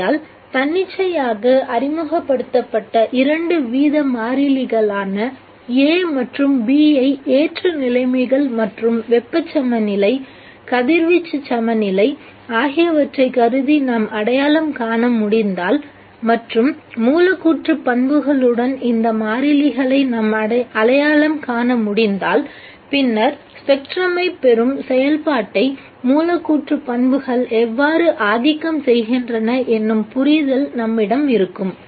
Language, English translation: Tamil, Therefore if we can identify A and B the two rate constants which are arbitrarily introduced, assuming ideal conditions and thermal equilibrium, radiation equilibrium, and if we can identify these constants with the molecular properties, then we have a way of understanding how molecular properties influence the process of spectrum, of obtaining the spectrum